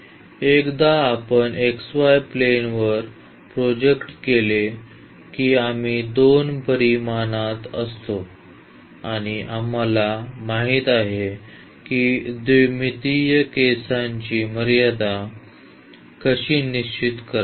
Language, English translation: Marathi, And, once we project to the xy plane we are in the 2 dimensions and we know how to fix the limit for 2 dimensional case